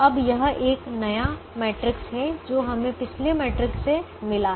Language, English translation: Hindi, now this is a new matrix that we have got from the previous matrix